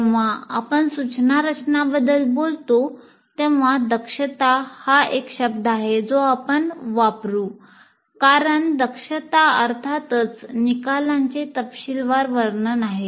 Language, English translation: Marathi, Strictly speaking when we talk about instruction design, competency is the word that we will use because competencies are elaborations of course outcomes